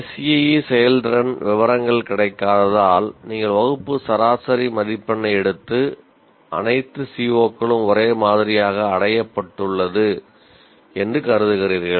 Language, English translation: Tamil, SEE performance as details are not available, you take one whatever is the class average mark and I consider all COs are retained to the same one